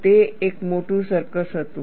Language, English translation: Gujarati, That was a big circus